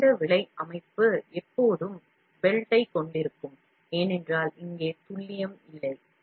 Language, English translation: Tamil, The low cost system will always have belt, because here the accuracy is are not there